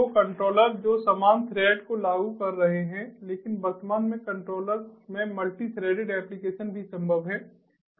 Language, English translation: Hindi, you know so the controllers which are implementing similar thread, but currently multi threaded applications in controllers are also possible